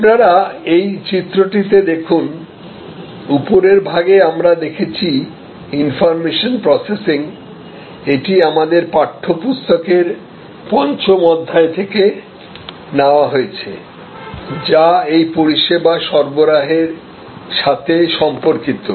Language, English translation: Bengali, So, as you see on top of we have what is known as information processing, this is taken from the 5'th chapter of our textbook, which relates to this service delivery